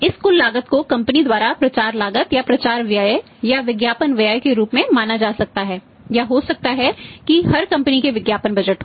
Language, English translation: Hindi, This total cost can be treated by the company as the promotional cost of the promotional expense or advertising expense or maybe that every company has the advertising budget